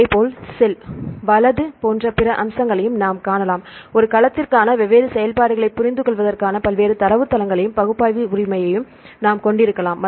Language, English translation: Tamil, Likewise we can see the other aspect like cell right we can have the various databases as well as analysis right to understand the different activities for a cell